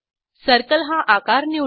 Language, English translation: Marathi, Lets select Shape as circle